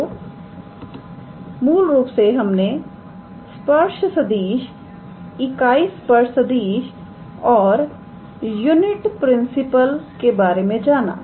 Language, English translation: Hindi, So, we have basically learnt about tangent vector, unit tangent vector and unit principal normal, alright